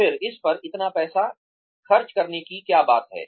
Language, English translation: Hindi, Then, what is the point of spending, so much money on it